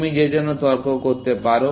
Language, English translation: Bengali, Can you argue for that